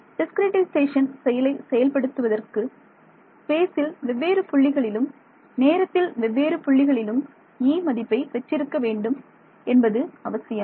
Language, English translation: Tamil, I have seen that the discretization scheme needs me to know E at different points in space different points in time